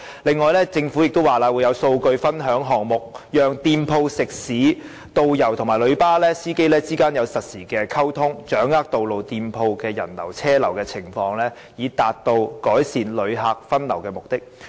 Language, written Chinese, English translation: Cantonese, 此外，政府也表示會有數據分享項目，讓店鋪、食肆、導遊及旅遊巴士司機之間可作實時溝通，掌握道路店鋪的人流和車流情況，以達到改善旅客分流的目的。, Moreover the Government will introduce data sharing projects to allow shops restaurants tour guides and coach drivers to conduct real - time communication and to grasp the visitor flow vehicular flow on roads and in shops which will be conducive to the diversion of visitors